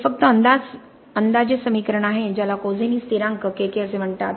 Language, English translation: Marathi, This is only an approximate equation because it makes you something called the Kozeny constant Kk, okay